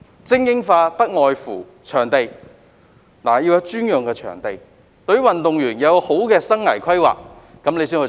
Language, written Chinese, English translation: Cantonese, 這方面不外乎場地，要有專用場地，以及協助運動員做好生涯規劃，才能做到精英化。, This invariably concerns the provision of sports venues . It is impossible to develop elite sports without dedicated venues and life planning support for athletes